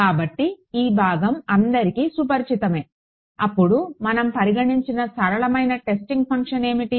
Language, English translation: Telugu, So, this part is sort of familiar to all of you right; then, what was the simplest kind of testing function that we considered